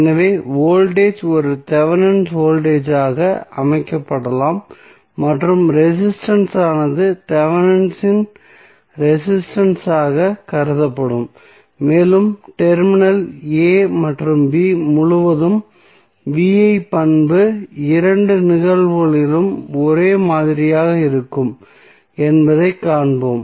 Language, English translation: Tamil, So, voltage would be can set as a Thevenin voltage and resistance would be consider as Thevenin resistance and we will see that the V I characteristic across terminal a and b will be same in both of the cases